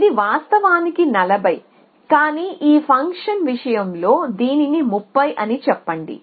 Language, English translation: Telugu, So, let me say this is 20 it is actually 40, but let us say this function thing it is 30